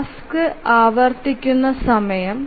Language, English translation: Malayalam, So, the time at which the task recurs